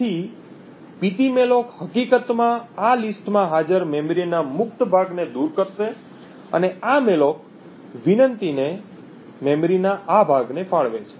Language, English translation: Gujarati, So, ptmalloc would in fact remove a free list chunk of memory present in this list and allocate this chunk of memory to this malloc request